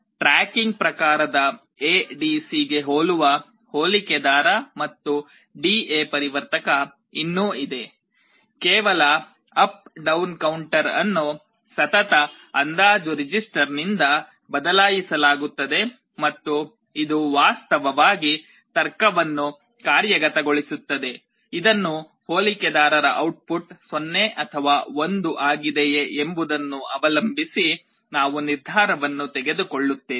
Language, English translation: Kannada, There is still a comparator and a D/A converter, very similar to a tracking type ADC; just the up down counter is replaced by a successive approximation register and this implements actually the logic, which we mentioned depending on whether the output of the comparator is 0 or 1 it takes a decision